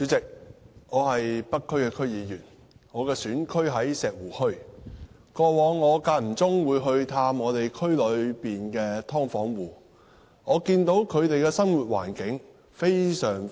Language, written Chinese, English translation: Cantonese, 主席，我是北區區議員，選區在石湖墟，我以往間中探望區內的"劏房戶"時，看到他們的生活環境非常惡劣。, President I am a member of the North District Council with Shek Wu Hui as my constituency . In the past I occasionally paid visit to residents of subdivided units in the constituency their living conditions are extremely bad